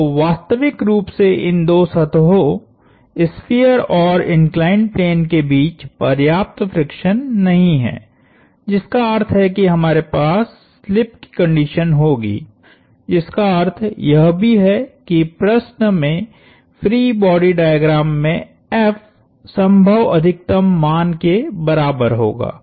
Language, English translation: Hindi, So, essentially these the two surfaces, the sphere and the inclined plane do not have sufficient friction between them, which means we will have slip,which also means that F in the problem, in the free body diagram will take on the maximum value possible